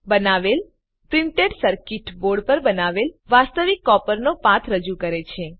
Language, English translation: Gujarati, The green track created represents actual copper path created on the printed circuit board